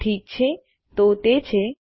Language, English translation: Gujarati, Okay so thats that